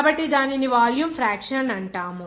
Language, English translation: Telugu, So, that will be called a volume fraction